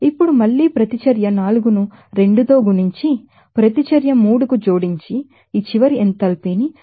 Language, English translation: Telugu, Now again multiplying the reaction 4 by 2 and adding to reaction 3, we can get this final enthalpy as 157